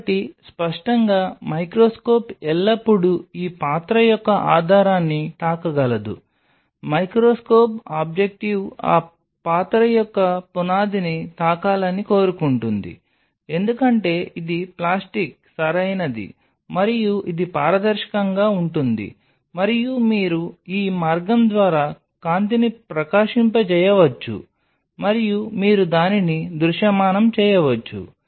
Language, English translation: Telugu, So obviously, the microscope can always touch the base of this vessel, it wants microscope objective can touch the base of those vessel because it is plastic right and it is transparent, and you can shine the light through this path and you can visualize it